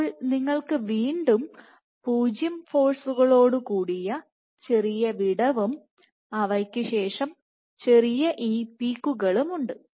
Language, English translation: Malayalam, Now you have a small amount of length again 0 force followed by these small peaks